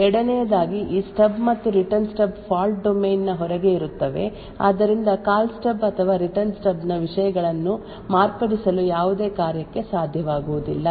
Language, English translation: Kannada, Second this stub and Return Stub are present outside the fault domain so therefore it would not be possible for any function to actually modify the contents of the Call Stub or the Return Stub